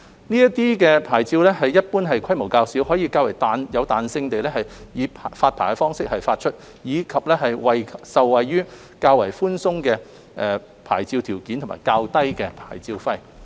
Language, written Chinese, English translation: Cantonese, 這些牌照一般規模較小，可以較有彈性地以發牌方式發出，以及受惠於較寬鬆的牌照條件及較低的牌照費。, These licences are generally smaller in scale can be issued with more flexibility and benefit from more relaxed licence conditions and lower licence fees